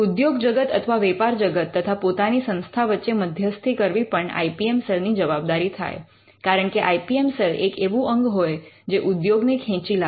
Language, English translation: Gujarati, Now mediating between industry and the institute is also another function of the IPM cell because, the IPM cell acts as a body that can bring the industry